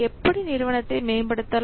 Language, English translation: Tamil, Then how an organization will be improved